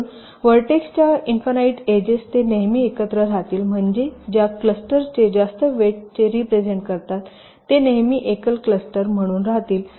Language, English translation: Marathi, so the infinite edge pair of vertices, they will always remain together, which means those clusters which are representing higher voltage, they will always remain as single clusters